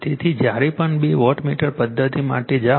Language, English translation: Gujarati, So, whenever whenever you go for your two wattmeter two wattmeter method right